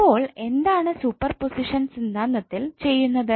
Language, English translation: Malayalam, So what you do in superposition theorem